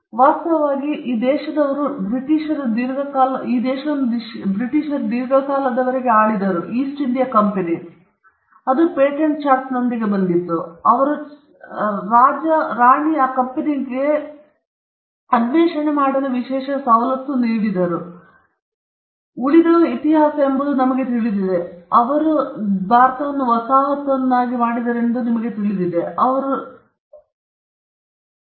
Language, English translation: Kannada, In fact, this country was ruled by the British for a long time, because one company the East India Company came with a patent charter, they came with a charter and that was an exclusive privilege that the Queen gave to that company to explore business opportunities here, and they came, and we know rest is history; you know they colonized, they came here and they colonized